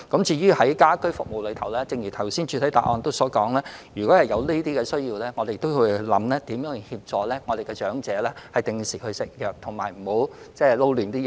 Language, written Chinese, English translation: Cantonese, 至於家居服務方面，正如主體答覆所述，如果有這方面的需要，我們會研究如何協助長者定時服藥及不要混淆需要服用的藥物。, As for home services as stated in the main reply if necessary we will consider how to assist the elderly in taking medications on time and avoid mixing up the medications to be taken